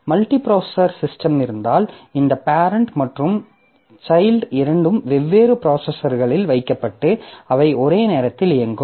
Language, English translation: Tamil, If you have a multiprocessor system, then maybe this parent and child they are put onto two different processors and they run simultaneously